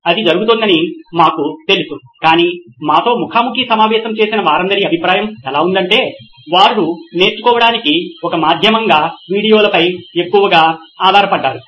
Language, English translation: Telugu, We knew that was happening but the extent to which almost all of our interviewees were of the opinion, they were hugely dependent on videos as a medium for learning